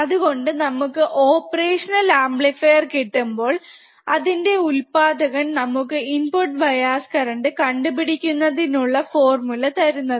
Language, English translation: Malayalam, That is why when we get the operational amplifier, the manufacturers already give us the formula of finding the input bias current, how